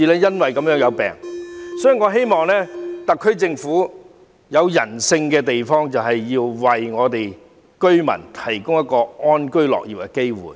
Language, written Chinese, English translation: Cantonese, 因此，我希望特區政府能採取人性化的做法，為這些居民提供安居樂業的機會。, Therefore I hope that the SAR Government can adopt a humanized approach and provide these people with the opportunity to live in peace and work with contentment